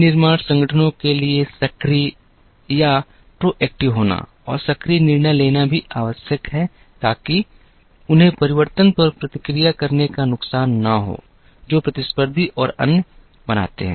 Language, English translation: Hindi, It is also necessary for manufacturing organizations to be proactive and make proactive decisions so that, they do not have the disadvantage of having to react to changes, that competitors and others make